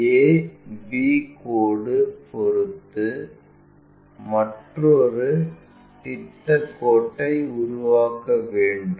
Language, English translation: Tamil, With respect to that a b line construct another projection line